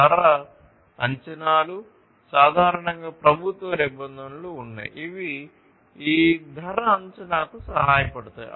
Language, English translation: Telugu, Price estimations, there are government regulations typically, which will help in this price estimation